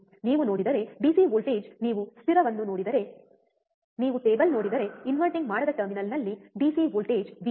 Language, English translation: Kannada, You see, DC voltage if you see the stable, if you see the table DC voltage at the non inverting terminal V plus